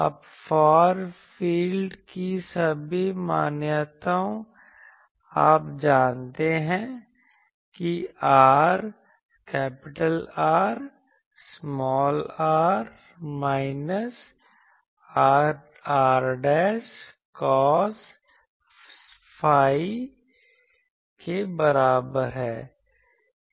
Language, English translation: Hindi, Now, far field assumptions all you know that R is equal to r minus r dashed cos psi